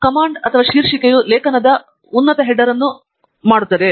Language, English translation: Kannada, Command \make title will make the top header of the article